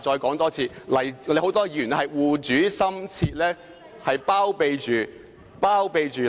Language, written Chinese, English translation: Cantonese, 剛才謝偉俊議員說"護主心切"，他有否這樣說？, Earlier on Mr Paul TSE said that Members were eager to shield their master . Did he say so?